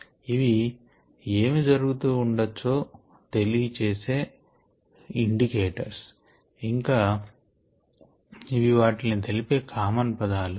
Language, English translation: Telugu, these are kinds of indications or what could be happening and these are kind of common terms that are used